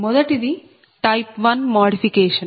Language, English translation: Telugu, this is called type one modification